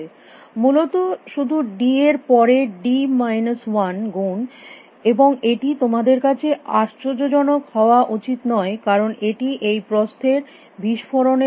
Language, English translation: Bengali, Just d over d minus 1 times more essentially, and that is should not be surprising to you because, this is the nature of these breadths explosion